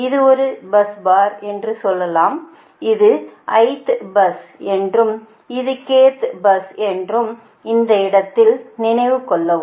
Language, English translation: Tamil, suppose you have a bus bar, this is have a ith bus and this is k th bus, right